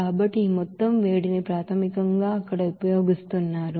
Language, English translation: Telugu, So this amount of heat is basically utilized there